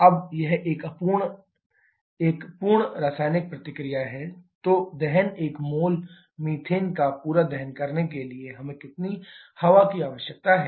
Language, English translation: Hindi, Now it is a complete chemical reaction then to have combustion complete combustion of 1 mole of methane how much mole of air we require